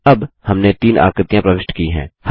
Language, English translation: Hindi, Now, we have inserted three shapes